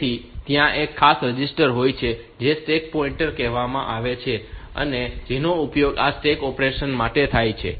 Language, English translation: Gujarati, So, there is a special register call stack pointer which is used for this stack operation